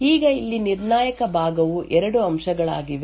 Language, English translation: Kannada, Now the critical part over here are two aspects